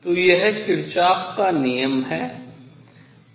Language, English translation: Hindi, So, that is Kirchhoff’s rule